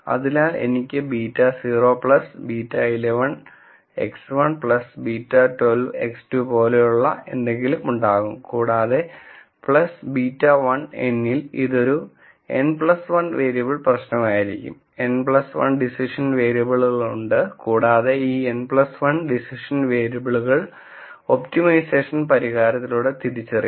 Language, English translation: Malayalam, So, I will have something like beta naught plus beta 1 1 x 1 plus beta 1 2 x 2 and so on plus beta 1 n x n, this will be an n plus 1 variable problem, there are n plus 1 decision variables, these n plus 1 decision variables will be identified through this optimization solution